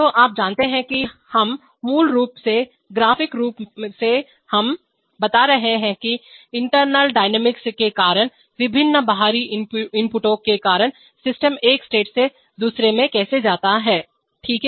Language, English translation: Hindi, So you know that we are we are basically graphically we are, we are describing the how the system goes from one state to another because of various external inputs all because of internal dynamics, okay